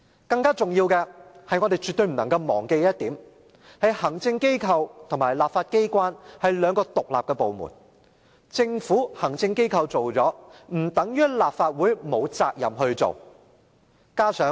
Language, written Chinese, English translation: Cantonese, 更重要的是，我們絕對不能忘記的一點，便是行政機關與立法機關是兩個獨立部門，行政機關做了，不等於立法會沒有責任做。, More importantly we should never forget that the Executive Authorities and the legislature are two independent bodies . The fact that the Executive Authorities have undertaken a certain task does not mean the Legislative Council is not duty - bound to perform the task